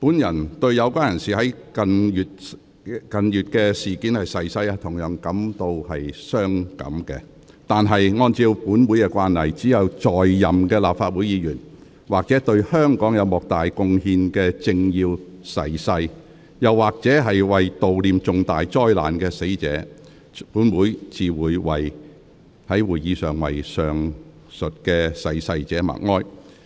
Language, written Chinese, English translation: Cantonese, 本人對於有關人士在近月事件中逝世同樣傷感，但按照本會的慣例，只有在任的立法會議員或對香港有莫大貢獻的政要逝世時，又或者為悼念重大災難的死難者，本會才會在會議上為上述逝世者默哀。, I myself also lament the deaths of the persons in question during the incidents in recent months . Nevertheless according to the convention of this Council the observance of silence will only be held at Council meetings to mourn for deceased Members in office political dignitaries with significant contribution to Hong Kong or victims of catastrophes